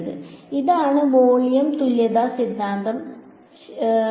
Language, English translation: Malayalam, So, this is the volume equivalence theorem right ok